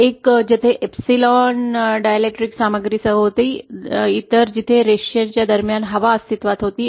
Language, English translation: Marathi, One where there was a dielectric material with epsilon 1, other where air was present between the lines